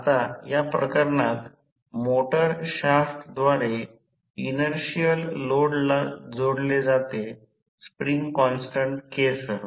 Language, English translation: Marathi, Now, in this case the motor is coupled to an inertial load through a shaft with a spring constant K